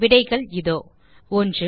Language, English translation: Tamil, And the answers, 1